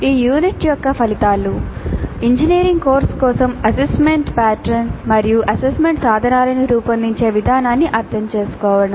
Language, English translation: Telugu, The outcomes for this unit are understand the process of designing an assessment pattern and assessment instruments for an engineering course